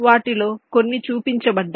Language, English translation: Telugu, so here some example is shown